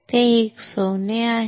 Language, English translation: Marathi, It is a gold